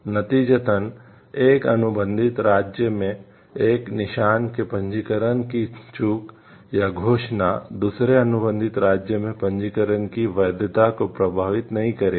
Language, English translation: Hindi, Consequently, the lapse or annulment of a registration of a mark in one contracting state will not affect the validity of the registration in the other contracting states